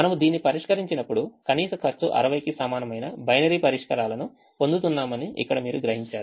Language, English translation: Telugu, you realize that we are getting binary solutions here with minimum cost equal to sixty